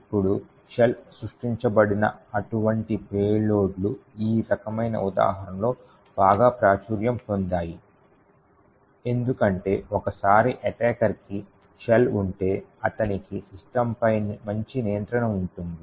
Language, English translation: Telugu, Now, such payloads where a shell is created is very popular in this kind of examples because once an attacker has a shell, he has quite a better control on the system